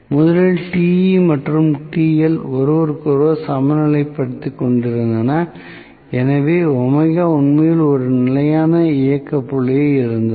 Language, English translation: Tamil, Originally, Te and TL were balancing each other, so omega was actually at a steady operating point